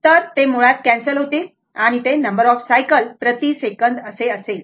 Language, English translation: Marathi, So, it basically it will cancel it will become number of cycles per second